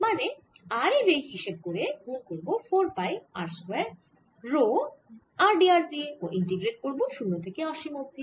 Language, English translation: Bengali, even this r comes out and i have r d r over r square minus r square square, r zero to infinity